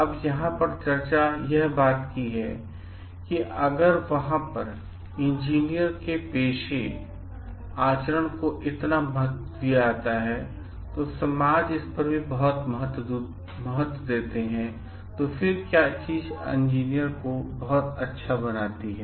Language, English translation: Hindi, Now, the point of discussion over here is then like if there is so much importance given on the professional conduct of engineers and society lays so much importance on it, then what makes a good engineer